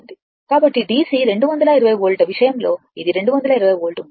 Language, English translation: Telugu, So, in case of DC 220 volts, it is 220 volt only